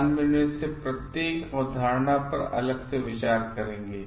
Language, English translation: Hindi, We will visit each of these concepts separately